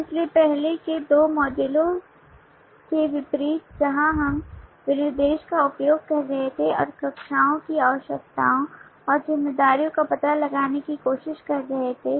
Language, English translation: Hindi, so in contrast to the earlier two modules where we were using the specification and trying to find out the classes attributes and responsibilities